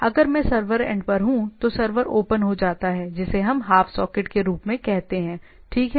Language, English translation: Hindi, So server opens up a what we say some sort of a half socket, right